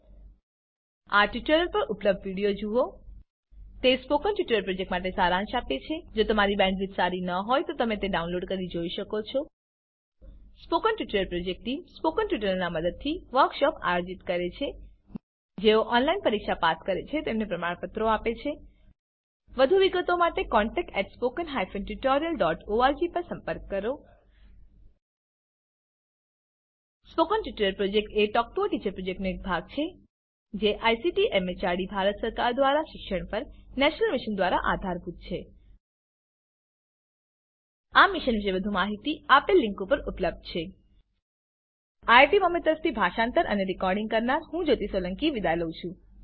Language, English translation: Gujarati, Assignment output should look like this Watch the video available at this url: http://spoken tutorial.org/What is a Spoken Tutorial It summarises the Spoken Tutorial project If you do not have good bandwidth, you can download and watch it The Spoken Tutorial Project Team#160: Conducts workshops using spoken tutorials Gives certificates to those who pass an online test For more details, please write to contact@spoken tutorial.org Spoken Tutorial Project is a part of the Talk to a Teacher project It is supported by the National Mission on Education through ICT, MHRD, Government of India More information on this Mission is available at this link This is Madhuri Ganapathi from IIT Bombay signing off .Thank you for joining